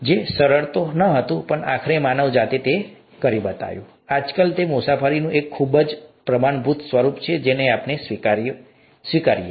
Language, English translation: Gujarati, It was not an easy task, but ultimately, mankind got there, and nowadays it's a very standard form of travel that we take for granted